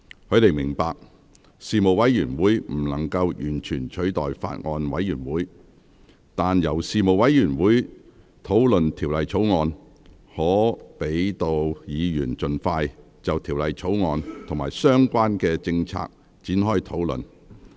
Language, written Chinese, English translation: Cantonese, 他們明白，事務委員會不能完全取代法案委員會，但由事務委員會討論《條例草案》，可讓議員盡快就《條例草案》與相關政策局展開討論。, While appreciating that the Panel is not a perfect substitute for a Bills Committee they pointed out that with the Bill being referred to the Panel for deliberation Members can initiate discussions on the Bill with the relevant Policy Bureaux as soon as possible